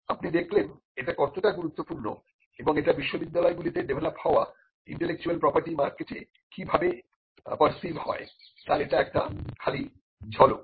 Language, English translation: Bengali, So, you can see how important this is just a glimpse of how intellectual property developed by universities has been perceived in the market